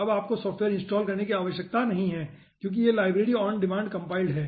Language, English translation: Hindi, now you may not to install the software because this library is compiled on demand